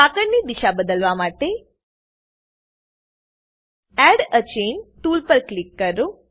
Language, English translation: Gujarati, To change the orientation of the chain, click on Add a Chain tool